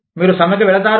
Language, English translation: Telugu, You will go on strike